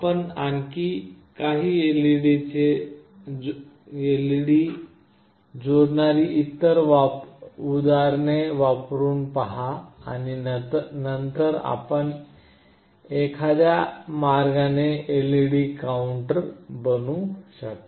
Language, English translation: Marathi, You can try out other examples connecting a few more number of LED’s and then you can make a LED counter in some way or the other